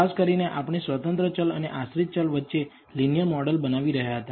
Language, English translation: Gujarati, Particularly we were developing a linear model between the independent and dependent variable